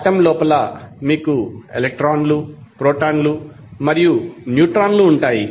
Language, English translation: Telugu, Inside the atom you will see electron, proton, and neutrons